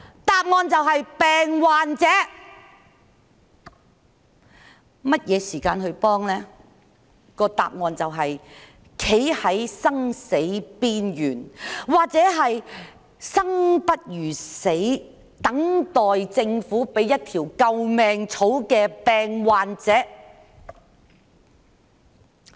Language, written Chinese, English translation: Cantonese, 答案就是當病患者站在生死邊緣，或是生不如死、等待政府給予一條救命草的時候。, The answer is that when the sick are on the verge of life or death or would rather die than live waiting for the Government to give a life - saving straw